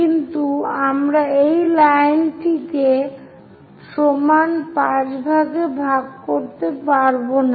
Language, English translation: Bengali, So, here we have divided into 5 equal parts and also 5 equal parts